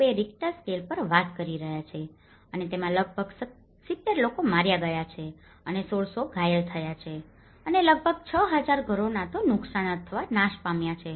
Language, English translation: Gujarati, 2 Richter scale and it has killed about 70 people and injured 1600 and almost 6,000 homes either damaged or destroyed